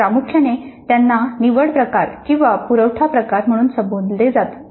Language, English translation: Marathi, Primarily they can be called as selection type or supply type